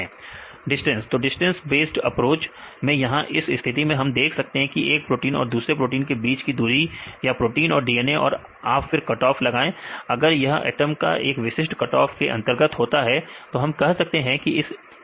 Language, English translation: Hindi, So, distance based approach in this case we see the distance between one protein to the another protein or protein and DNA and make any cut off if these atoms are within a specific cut off we can say they are in the interface